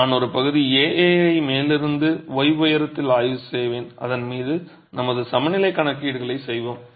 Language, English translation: Tamil, I will examine section AA from the top at a height of y and we will do our equilibrium calculations on that